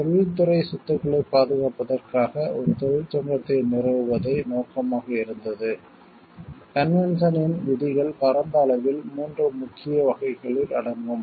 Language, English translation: Tamil, It is objective was to establish a union for protecting the industrial property, the provisions of the convention broadly fall into 3 main categories